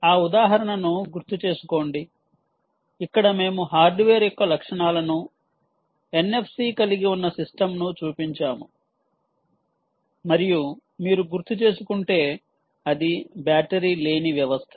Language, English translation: Telugu, recall that example where we showed the hardware features of the hardware, that system, which had an n f c for and it was a batteryless system, if you recall